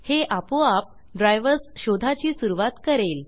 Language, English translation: Marathi, Then it will automatically begin searching for drivers